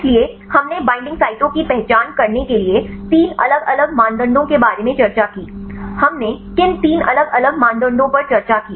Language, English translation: Hindi, So, we discussed about three different criteria to identify the binding sites, what are three different criteria we discussed